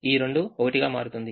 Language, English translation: Telugu, so two becomes three